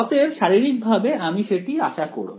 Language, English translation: Bengali, So, physically that is what we expect ok